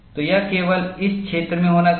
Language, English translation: Hindi, So, it should happen only in this region